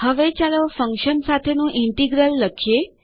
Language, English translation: Gujarati, Now let us try an integral with a function